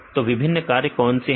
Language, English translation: Hindi, What are the various functions